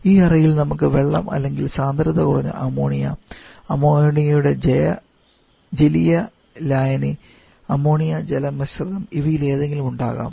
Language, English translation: Malayalam, And in the chamber we have water or maybe a low concentration of solution of ammonia, aqua solution of ammonia that is ammonia water mixture